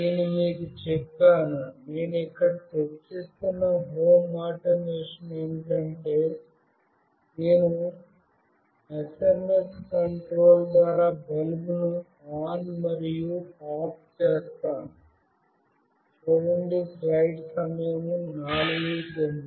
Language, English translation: Telugu, I have told you, the home automation that I will be discussing here is that I will be switching on and off a bulb through SMS control